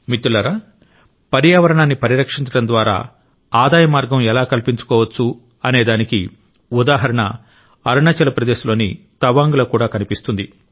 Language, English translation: Telugu, an example of how protection of environment can open avenues of income was seen in Tawang in Arunachal Pradesh too